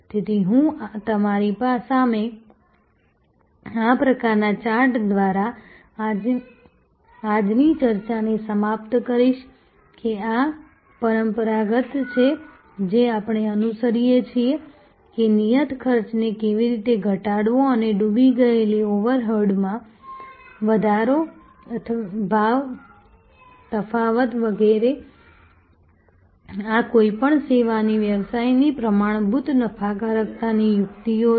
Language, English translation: Gujarati, So, I will end today’s discussion by with this kind of chart in front of you, that these are traditional, what we have followed, that how to lower fixed costs or sunk overhead raise price differentiation etc, these are the standard profitability tactics of any service business